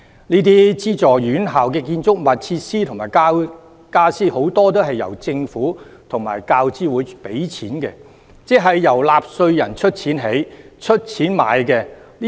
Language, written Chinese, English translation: Cantonese, 這些資助院校的建築物、設施及傢俬，很多都是由政府及大學教育資助委員會出資，即是由納稅人出資興建、購買。, The school campuses are seriously vandalized burned down and turned into a base for rioters . The buildings facilities and furniture in these funded institutions are mostly paid for by the Government and the University Grants Committee . In other words they are built or procured with taxpayers money